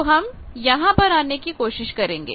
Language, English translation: Hindi, So, I will move and try to come to this